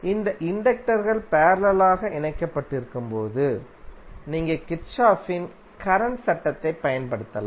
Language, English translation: Tamil, So when these inductors are connected in parallel means you can apply Kirchhoff’s current law